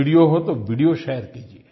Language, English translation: Hindi, If it is a video, then share the video